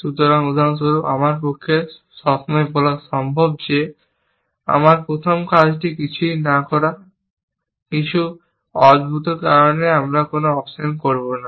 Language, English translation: Bengali, So, for example it is always possible for me to say that my first action is to do nothing, for some strange reason that I will do a no op